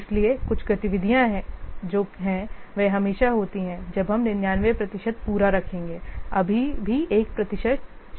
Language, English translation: Hindi, So, some what activities are there, they are always when you will see 99% complete, still 1% is remaining